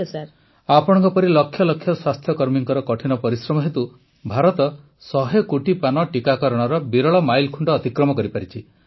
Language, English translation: Odia, It is on account of the hard work put in by lakhs of health workers like you that India could cross the hundred crore vaccine doses mark